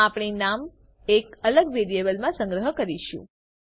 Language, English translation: Gujarati, Well store the name in a different variable